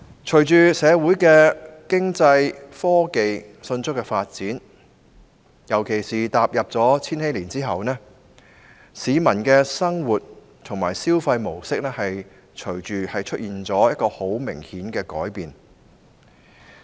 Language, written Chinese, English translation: Cantonese, 隨着社會上經濟和科技迅速發展，特別是踏入千禧年後，市民的生活和消費模式出現明顯改變。, With the rapid economic and technological development in society especially after the turn of the millennium there have been obvious changes in peoples lifestyle and consumption patterns